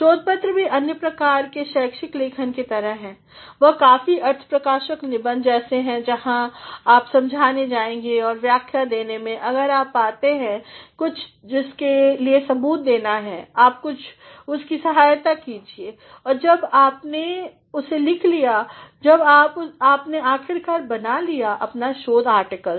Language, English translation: Hindi, Research papers are also like other forms of academic writing, they are much like expository essays where you are going to explain and in terms of giving an explanation, if you find there is something to be evidenced, you support that and when you have written it, when you have finally, made your research article